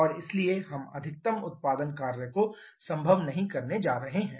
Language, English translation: Hindi, And therefore we give we are not going to get the maximum amount of work output possible